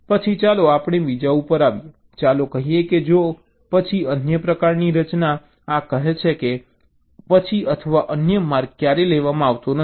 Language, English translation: Gujarati, lets say, for an if then else kind of a construct, this says that either the then or the else path is never taken